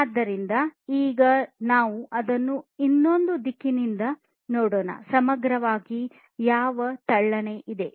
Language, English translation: Kannada, So, let us now look at it from another direction, holistically, what lean is all about